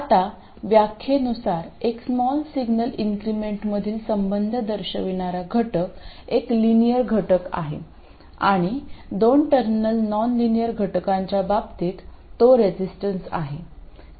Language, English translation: Marathi, Now, by definition the element that depicts the relationship between small signal increments is a linear element and it is a resistor in case of a two terminal nonlinear element